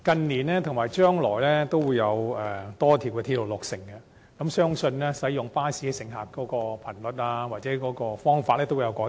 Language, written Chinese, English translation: Cantonese, 日後將有多條鐵路落成，相信乘客使用巴士服務的頻率或方式亦會有所改變。, As a number of railway lines will be commissioned in the future it is anticipated that there will be changes in the frequency or mode of using bus services by the commuting public